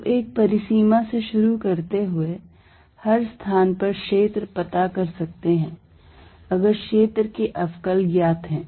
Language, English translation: Hindi, So, starting from a boundary, one can find field everywhere else if differentials of the field are known